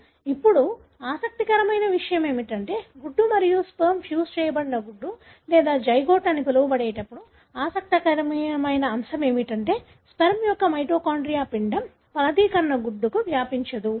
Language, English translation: Telugu, Now, what is interesting is that when the egg and sperm fuse to form what is called as the fertilized egg or zygote, the interesting aspect is that the mitochondria of the sperm are not transmitted to the embryo, the fertilized egg